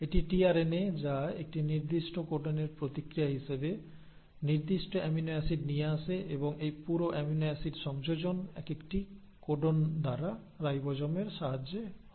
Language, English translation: Bengali, It is the tRNA which in response to a specific codon will bring in the specific amino acid and this entire adding of amino acid happens codon by codon in the ribosome, with the help of ribosome